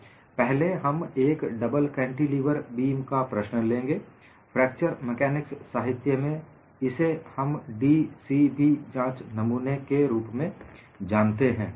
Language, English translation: Hindi, First, we will take up the problem of a double cantilever beam, and this is also known as, in fracture mechanics literature, d c b specimen